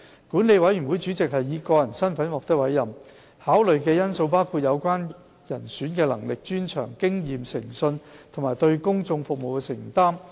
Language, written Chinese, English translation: Cantonese, 管理委員會主席是以個人身份獲得委任，考慮的因素包括有關人選的能力、專長、經驗、誠信和對公眾服務的承擔。, The appointment of the Board Chairman is made on a personal basis taking into consideration the candidates abilities expertise experience integrity and commitment to public service